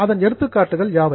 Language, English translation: Tamil, What are the examples